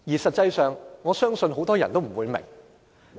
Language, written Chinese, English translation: Cantonese, 實際上，我相信很多人也不明白。, In fact I believe many people are also perplexed